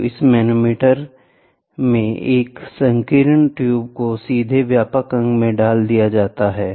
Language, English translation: Hindi, So, in this type of manometer, a narrow tube is inserted directly into the wider limb